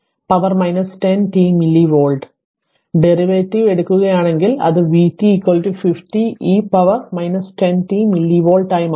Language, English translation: Malayalam, So, if you just take the derivative it will become v t is equal to 50 e to the power minus 10 t milli volt right